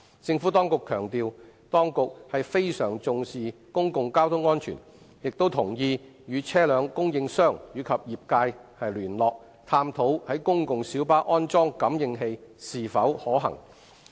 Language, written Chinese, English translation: Cantonese, 政府當局強調，當局非常重視公共交通安全，亦同意與車輛供應商及業界聯絡，探討在公共小巴安裝感應器是否可行。, The Administration has emphasized that it attaches great importance to the safety of public transport and has agreed to liaise with vehicle suppliers and the trade to explore the feasibility of installing the sensors on PLBs